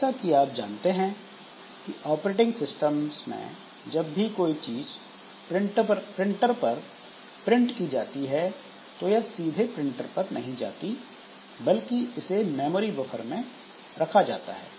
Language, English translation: Hindi, As you know that in case of operating systems, so whenever there is something to be printed onto the printer, so it does not go to the printer directly but rather it is kept in some memory buffer